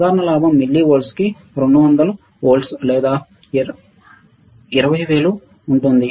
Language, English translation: Telugu, Typical the gain is about 200 volts per milli watts or 200000 right